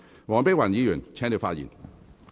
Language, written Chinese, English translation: Cantonese, 黃碧雲議員，請繼續發言。, Dr Helena WONG please continue with your speech